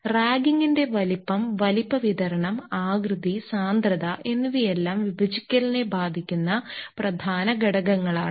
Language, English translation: Malayalam, The size, size distribution, shape and density of the ragging are all important factors that will affect the separation